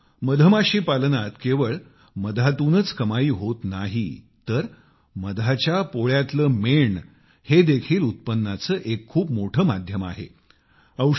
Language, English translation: Marathi, Friends, Honey Bee Farming do not lead to income solely from honey, but bee wax is also a very big source of income